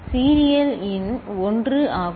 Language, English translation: Tamil, Serial in is 1